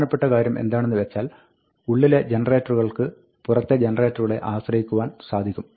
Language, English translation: Malayalam, The key thing is that, generators can be dependent on outer generators inner generators can be dependent on outer generators